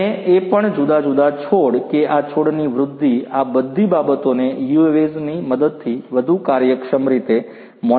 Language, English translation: Gujarati, And also the different plants that their growth of these plants all of these things can be monitored with the help of UAVs in a much more efficient manner